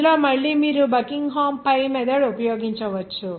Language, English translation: Telugu, In this again that Buckingham pi method you can use here